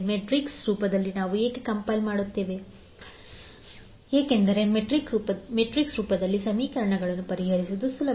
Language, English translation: Kannada, Why we are compiling in metrics form because solving equation in matrix form is easier